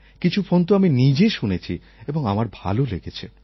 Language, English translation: Bengali, I listened to some message personally and I liked them